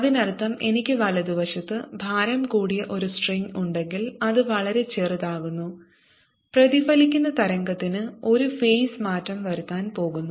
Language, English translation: Malayalam, that means if i have a heavier string on the right hand side which makes me too smaller, i am going to have a phase change for the reflected wave